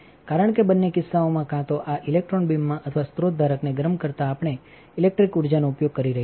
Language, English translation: Gujarati, Because in both the cases either in this electron beam or heating the source holder we are using a electric energy right